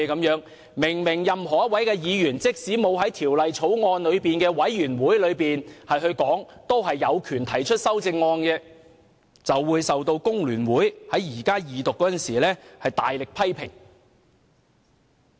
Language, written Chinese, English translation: Cantonese, 事實上，任何一位議員即使沒有在法案委員會提出修正案，也有權提出修正案，但張超雄議員卻被工聯會議員在二讀辯論中大力批評。, As a matter of fact any Member had the right to propose amendments even if he did not propose amendments at a meeting of the Bills Committee and yet Dr Fernando CHEUNG was fiercely criticized by the Member from FTU in the Second Reading debate